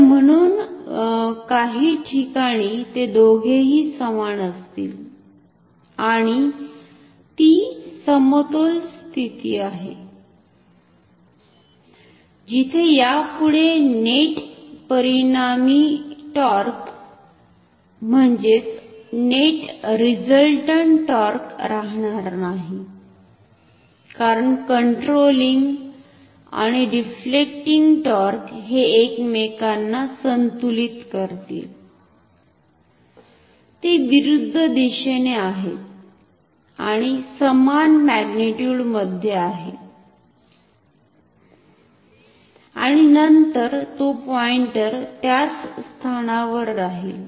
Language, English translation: Marathi, So, therefore, at some position both of them will be equal and that is the position of equilibrium, where there will be no more net resultant torque, because controlling and the deflecting torque, they will balance each other, they are opposite in direction equal in magnitude and then the pointer can stay at that position without moving further